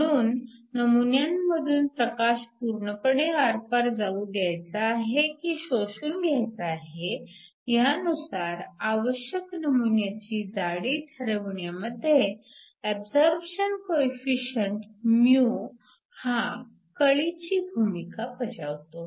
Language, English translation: Marathi, So, the absorption coefficient mu place a really key role in determining the thickness of the sample that you need in order to either get light to completely pass through or light to be absorbed